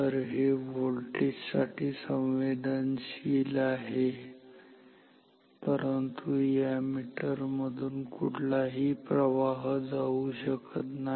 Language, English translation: Marathi, So, it is sensitive to voltage, but a no current can flow through this meter